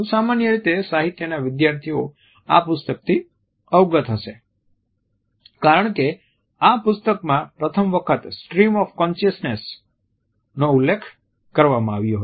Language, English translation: Gujarati, A students of literature in general are familiar with this work because it is this work which for the first time had also mentioned the phrase stream of consciousness